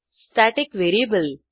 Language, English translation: Marathi, Static variable eg